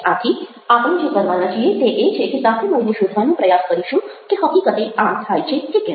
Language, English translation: Gujarati, so what we are going to do is we are trying to find out whether actually this happens